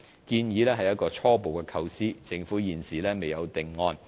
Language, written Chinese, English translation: Cantonese, 建議是一個初步構思，政府現時未有定案。, The proposal is an initial idea and the Government has not finalized its plan